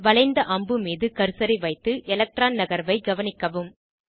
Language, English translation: Tamil, Place the cursor on the curved arrow and observe the electron shift